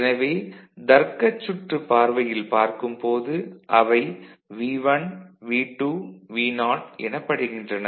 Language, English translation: Tamil, So, when we look at it from the logic circuit point of view, it is V1, V2, Vo